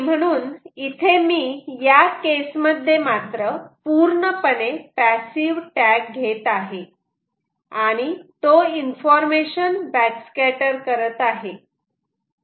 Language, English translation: Marathi, so here, in this case, what i have taken is a completely passive tag and its doing a back scatter of the information